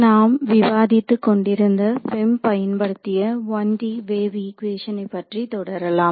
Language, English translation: Tamil, So continuing our discussion of the 1D Wave Equation, into which we applied the FEM